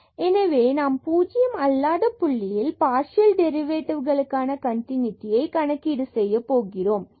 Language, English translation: Tamil, So, we need to compute the continuity of the partial derivative at non 0 point